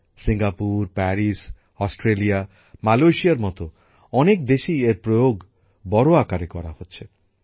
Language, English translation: Bengali, It is being used extensively in many countries like Singapore, Paris, Australia, Malaysia